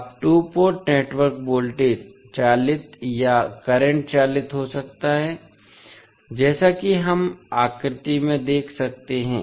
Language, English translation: Hindi, Now, the two port network may be voltage driven or current driven as we have we can see from the figure